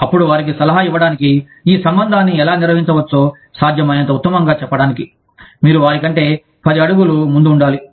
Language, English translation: Telugu, Then, you have to be, ten steps ahead of them, to advise them, as to how, this relationship can be managed, as best as possible